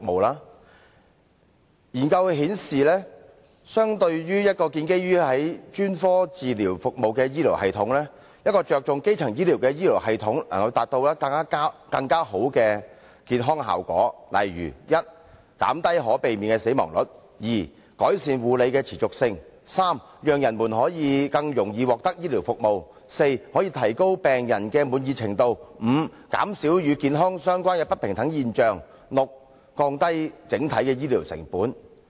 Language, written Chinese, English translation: Cantonese, 研究顯示，相對於一個建基在專科治療服務的醫療系統，一個着重基層醫療的醫療系統，能夠達到更好的健康效果，例如第一，減低可避免的死亡率；第二，改善護理的持續性；第三，讓人們可以更容易獲得醫療服務；第四，可以提高病人的滿意程度；第五，減少與健康相關的不平等現象；及第六，降低整體的醫療成本。, As some studies have indicated compared to a health care system which is based on specialist health care services a health care system which is based on primary health care can achieve better heath effect . For example first it can help decrease avoidable deaths; second it can improve continuity of care; third people can be more accessible to health care services; fourth patients can be more satisfying; fifth the phenomena of inequality related to health can be reduced; and sixth the overall health care costs can be reduced